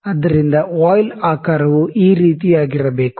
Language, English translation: Kannada, So, the shape of the voile is something like this